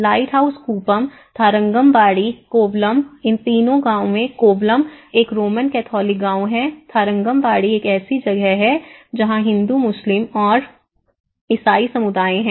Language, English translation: Hindi, Lighthouse kuppam, Tharangambadi, Kovalam in all the three villages Kovalam is a Roman Catholic village, Tharangambadi is a mix like which is a Hindu, Muslim and Christian community lives there